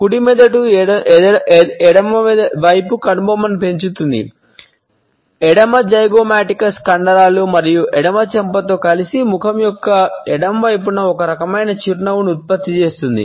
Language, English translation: Telugu, The right brain rises the left side eyebrow, where left zygomaticus muscles and the left cheek to produce one type of smile on the left side of a face